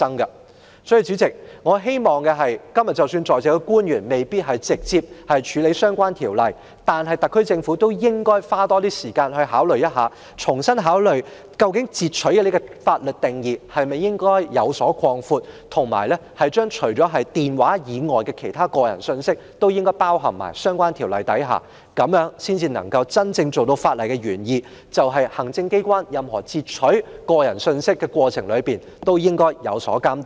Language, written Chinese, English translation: Cantonese, 代理主席，即使今天在席的官員未必直接負責處理相關條例，但我亦希望特區政府多花時間，重新考慮應否擴闊"截取"的法律定義，以及把電話通話以外的個人信息納入相關條例之下，從而真正達到法例原意，就是行政機構在任何截取個人通訊的過程中都應受到監督。, Deputy Chairman even though the officials present today may not be directly responsible for dealing with the relevant Ordinance I still hope that the SAR Government will spend more time to consider afresh whether the legal definition of interception should be expanded and personal messages other than telephone conversations be included in the relevant Ordinance with a view to truly achieving the original intent of the law ie . the Administration should be monitored during the course of any interception of personal communications